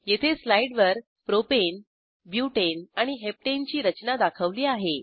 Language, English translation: Marathi, Here is slide for the structures of Propane, Butane and Heptane